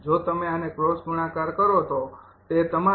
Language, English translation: Gujarati, that cross multiplication, right